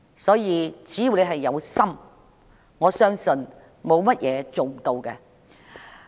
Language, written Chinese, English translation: Cantonese, 所以，只要有心，我相信沒有事情是做不到的。, Therefore so long as there is determination I do not believe there is anything which cannot be achieved